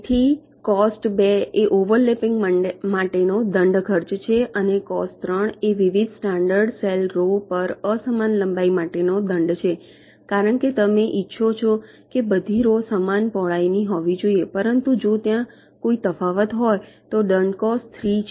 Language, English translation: Gujarati, and cost three is the penalty for uneven length across the different standard cell rows, because you want that all rows must be approximately of this same width, but if there is a difference, you encore a penalty of cost three